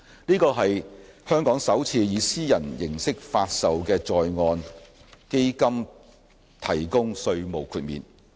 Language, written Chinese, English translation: Cantonese, 這是香港首次向以私人形式發售的在岸基金提供稅務豁免。, This is the first time that Hong Kong provides tax exemption to a privately offered onshore fund